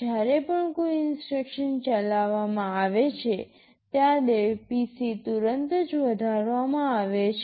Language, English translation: Gujarati, Whenever an instruction is executed PC is immediately incremented by 4